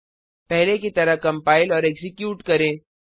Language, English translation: Hindi, Compile and execute as before